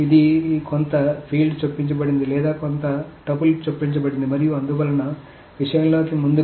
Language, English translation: Telugu, So this some field is inserted or some tpil is inserted as so forth into the thing